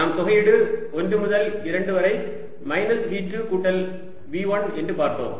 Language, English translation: Tamil, we write integral from one to two: v two plus v one